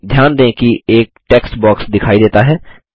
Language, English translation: Hindi, Observe that a text box appears